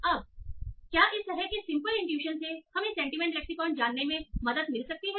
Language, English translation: Hindi, Now can this sort of simple intuition can help us in learning the sentiment lexicon